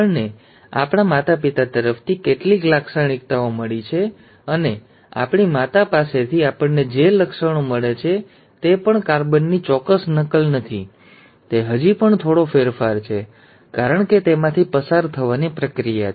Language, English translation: Gujarati, We may receive some features from our parents, and some features from our mother, and even the features that we receive from our mother is not an exact carbon copy, it is still a slight variation, because of the process of crossing over